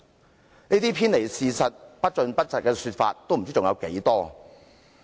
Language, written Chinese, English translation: Cantonese, 像這些偏離事實、不盡不實的說法不知還有多少？, It is hard to tell how many more such messages that have either deviated from facts or revealed only part of the truth will come